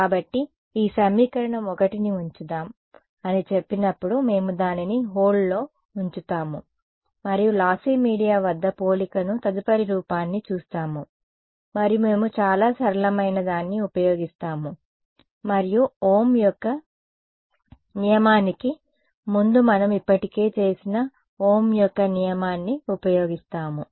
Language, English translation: Telugu, So, when say let us just put this equation 1 we will put it on hold and we will see the comparison next look at lossy media and we will use something very simple we will use our Ohm’s law we have already done that before Ohm’s law is